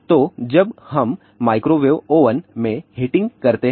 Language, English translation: Hindi, So, when we do the heating in a microwave oven